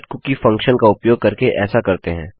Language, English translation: Hindi, You do this by using the setcookie function